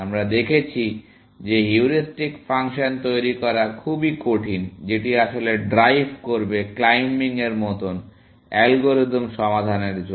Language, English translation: Bengali, We have seen that it is very difficult to devise heuristic function, which will drive actually, climbing like, algorithms to solutions